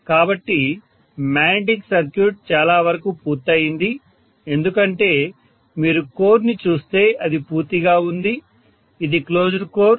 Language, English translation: Telugu, So the magnetic circuit is very much complete because the core is, you know, in totality if you look at it, it is a closed core